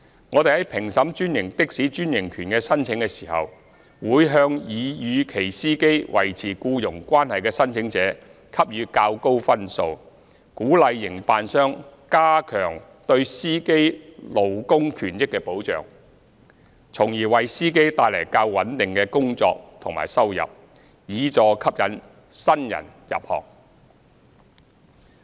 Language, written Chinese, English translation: Cantonese, 我們在評審專營的士專營權的申請時，會向擬與其司機維持僱傭關係的申請者給予較高分數，鼓勵營辦商加強對司機勞工權益的保障，從而為司機帶來較穩定的工作和收入，以助吸引新人入行。, In assessing the applications for franchises for franchised taxi services we will give a higher score to applicants who intend to maintain an employer - employee relationship with their drivers to encourage operators to enhance protection for the labour rights and interests of drivers thereby bringing drivers a more stable job and income so as to help attract new entrants to the trade